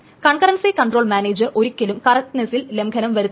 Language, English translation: Malayalam, So the concurrency control manager will never sacrifice on the correctness